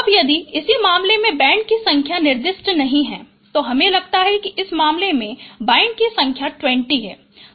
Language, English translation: Hindi, Now, if the number of band is in this case, it is not specified, I suppose the number of band is, if it is 20 in this case